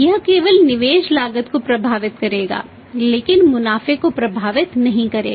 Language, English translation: Hindi, That will affect only the investment cost but not will affect the profits